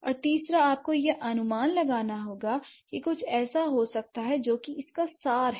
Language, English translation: Hindi, And third, you have to infer that something might be the case, that what is the essence of it